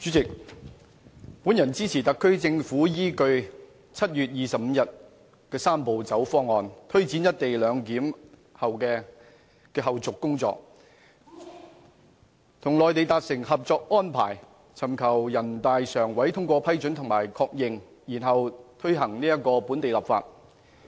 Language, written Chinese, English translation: Cantonese, 主席，本人支持特區政府依據7月25日公布的"三步走"方案，推展"一地兩檢"的後續工作，與內地達成《合作安排》，尋求人大常委會通過、批准及確認，然後推行本地立法。, President I rise to speak in support of the SAR Governments plan to follow the Three - step Process proposal announced on 25 July to take forward the follow - up tasks on the co - location arrangement reach a Co - operation Arrangement with the Mainland and seek the endorsement approval and confirmation by the Standing Committee of the National Peoples Congress NPCSC and enact local legislation afterwards